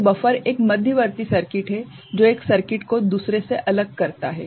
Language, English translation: Hindi, So, buffer is an intermediate circuit that isolates or separates one circuit from the another ok